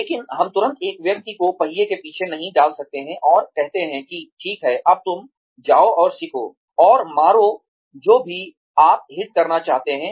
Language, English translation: Hindi, But, we cannot immediately put a person, behind the wheel, and say okay, now you go and learn, and hit, whatever you want to hit